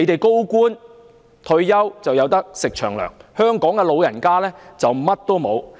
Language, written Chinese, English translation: Cantonese, 高官退休可以"食長糧"，香港的長者則甚麼都沒有。, High - ranking officials have pensions in retirement but the elderly people in Hong Kong have nothing to rely on